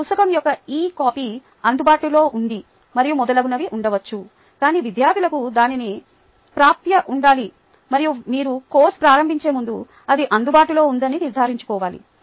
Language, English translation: Telugu, ah, maybe there is an e copy of the book available and so on and so forth, but students need to have access to that and you need to make sure that it is available before you begin the course